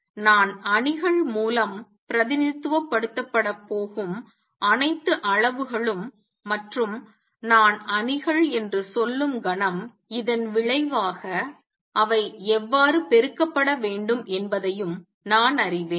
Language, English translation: Tamil, So, all quantities I going to be represented by matrices and the moment I say matrices I also know how they should be multiplied consequence of this is that